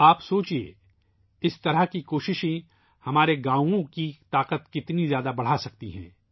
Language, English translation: Urdu, You must give it a thought as to how such efforts can increase the power of our villages